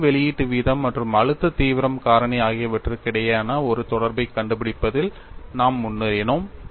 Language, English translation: Tamil, So, this is a very generic expression in relating energy release rate and stress intensity factor